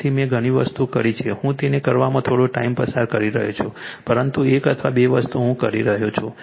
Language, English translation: Gujarati, So, many things I have done I have been spending lot of time right little bit you do that, but one or twothing I am telling